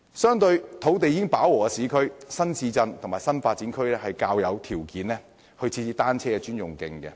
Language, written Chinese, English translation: Cantonese, 相對土地已飽和的市區，新市鎮和新發展區較有條件設置單車專用徑。, Compared with the urban areas where land use has reached capacity new towns and new development areas are more suitable for the construction of dedicated cycle tracks